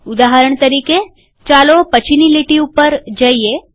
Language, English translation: Gujarati, For example, lets go to the next line